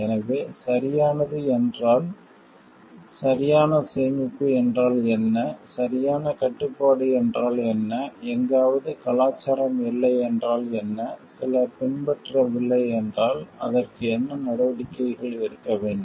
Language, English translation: Tamil, So, proper what means proper storage, what means proper control, what if somewhere it is not that culture is not there, what if some person is not following, then what are the steps to be taken for that